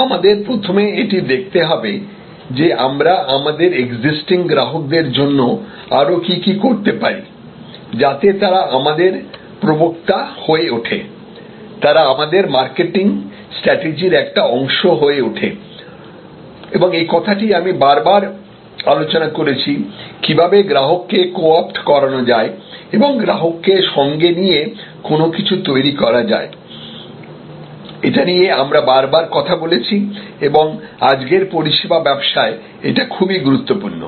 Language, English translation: Bengali, So, we should first look at that what more can we do for our existing customers to make them our advocate to make them part of our marketing strategy and this is the topic we have discussed again and again, this co opting the customer and co creating with the customer our strategy this we have discussed number of times and it is importance in services business of today